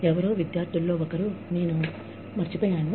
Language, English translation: Telugu, Somebody, one of the students, I forget, this lady's name